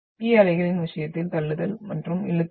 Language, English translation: Tamil, Whereas in the case of the P waves, we are having push and pull